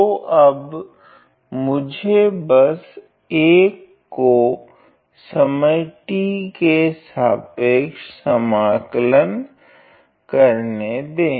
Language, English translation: Hindi, So, then let me just integrate 1 with respect to the time t